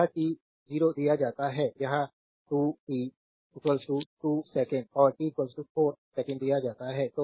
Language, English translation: Hindi, So, it is t 0 is given this is given 2 t is equal to 2 second and t is equal to 4 second